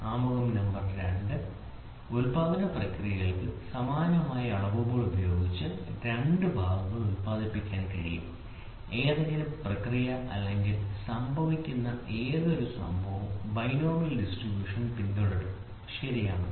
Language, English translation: Malayalam, So, introduction no, two parts can produce with identical measurements by any manufacturing process, any process or any event to happen follow the binomial distribution, right